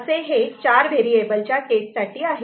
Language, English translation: Marathi, So, it is for four variable case